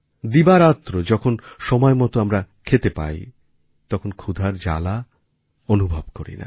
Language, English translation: Bengali, Day and night, when one gets to eat food on time, one doesn't realize what hunger pangs are